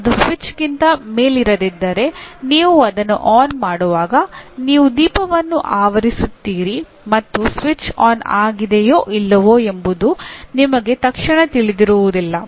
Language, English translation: Kannada, If it is not above the switch, obviously when you are switching on you will be covering the lamp and you would not immediately know whether it is switched on or not